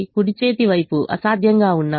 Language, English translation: Telugu, the right hand sides are infeasible